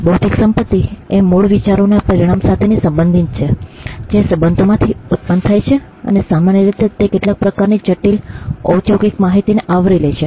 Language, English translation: Gujarati, Intellectual property relates to original ideas results that emanate from research, and generally it covers some kind of critical business information